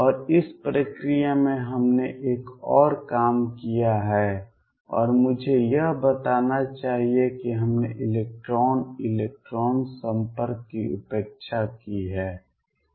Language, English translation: Hindi, And this process we have also done one more thing and I must point that we have neglected the electron electron interaction